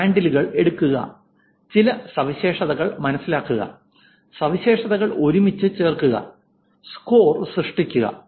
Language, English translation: Malayalam, Take the handles, understand some features, put the features together and create the score